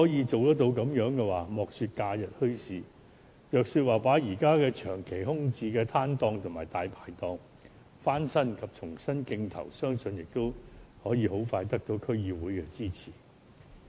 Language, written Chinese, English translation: Cantonese, 這樣的話，莫說假日墟市，即使把現時長期空置的攤檔和"大牌檔"翻新及重新競投，相信也會得到區議會的支持。, In that case I believe District Councils will agree not only to holding bazaars at weekends but also to refurbishing and re - tendering for stalls and dai pai dongs which have been left vacant for a long time